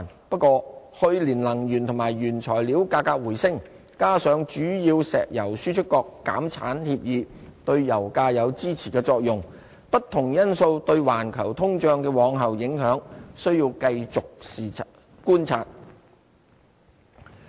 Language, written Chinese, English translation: Cantonese, 不過，去年能源和原材料價格回升，加上主要石油輸出國減產協議對油價有支持作用，不同因素對環球通脹的往後影響，需要繼續觀察。, However energy and raw material prices bounced back last year and the agreement among major petroleum exporting countries to cut production offered support to oil prices . We have to go on monitoring the future impacts of various factors on global inflation